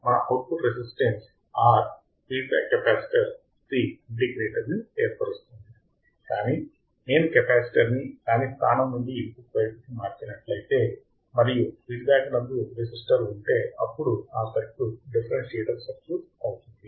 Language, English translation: Telugu, Our input resistance R, feedback capacitor C forms the integrator, but if I change the capacitor from its point its feedback to the input, and I have feedback resistor then my circuit will become a differentiator